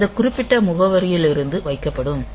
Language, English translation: Tamil, So, it will be put at this particular address onwards